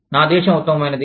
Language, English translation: Telugu, My country is the best